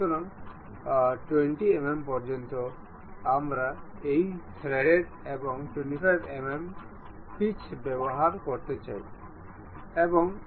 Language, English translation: Bengali, So, up to 20 mm we would like to have this thread and 1